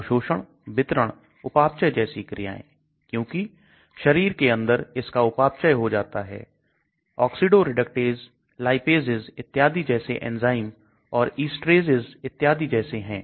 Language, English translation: Hindi, Things like absorption, distribution, metabolism, because it gets metabolized inside the body, enzymes like oxidoreductase, lipases, and so on, esterases and so on okay